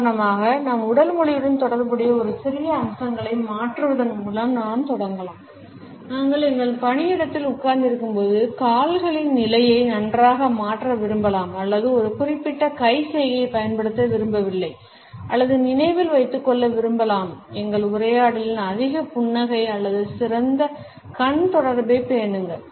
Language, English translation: Tamil, We can start by changing a smaller aspects related with our body language for example, we may want to change the position of legs well while we sit in our workplace or we want not to use a particular hand gesture or we may like to remember to have more smiles or maintain a better eye contact in our conversation